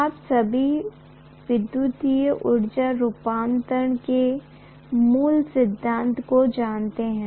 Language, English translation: Hindi, All of you know the basic principle of electromechanical energy conversion